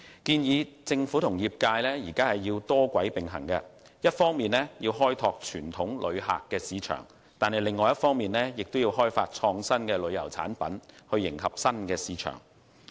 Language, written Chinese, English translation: Cantonese, 建議政府及業界多軌並行，一方面開拓傳統旅客市場，另一方面也要開發創新旅遊產品迎合新市場。, The Government and the industry are urged to adopt a multi - pronged approach by developing the traditional tourist market on the one hand and exploring innovative tourism products to cater for the new market on the other